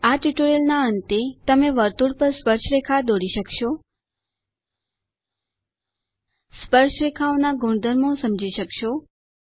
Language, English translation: Gujarati, At the end of this tutorial you will be able to Draw tangents to the circle,Understand the properties of Tangents